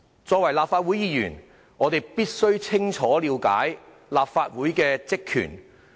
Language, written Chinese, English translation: Cantonese, 身為立法會議員，我們必須清楚了解立法會的職權。, As Members of the Legislative Council we must clearly understand the powers and functions of the Legislative Council